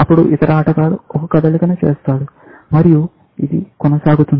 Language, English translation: Telugu, Then, the other player makes a move, and so on